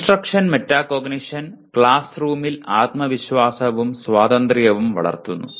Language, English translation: Malayalam, Instruction metacognition fosters confidence and independence in the classroom